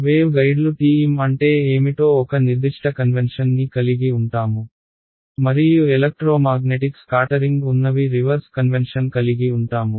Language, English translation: Telugu, The wave guide people have a certain convention for what is TM and people in electromagnetic scattering they have the reverse convention